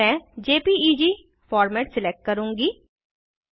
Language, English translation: Hindi, I will select JPEG format